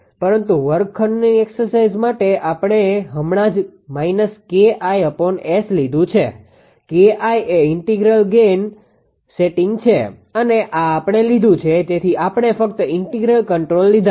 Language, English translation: Gujarati, But for the classroom exercise we have just taken that minus K I upon S K I is the integral gain setting and this we have taken right; so, only integral controller controller we have taken